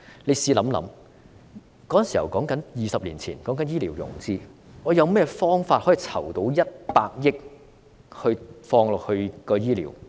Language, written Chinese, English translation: Cantonese, 你試想一想 ，20 年前說醫療融資，我們有甚麼方法可以籌到億元放入醫療？, Think about it 20 years ago when we talked about health care financing how could we raise 10 billion to spend on health care?